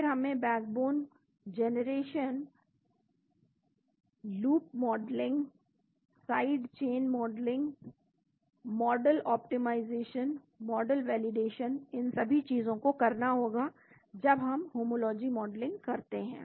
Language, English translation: Hindi, Then we do the backbone generation, Loop modeling, Side chain modeling, Model optimization, Model validation all these things are done when we do the homology modeling